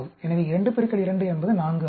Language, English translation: Tamil, So, 2 into 2, 4